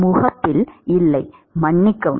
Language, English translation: Tamil, No at the interface excuse me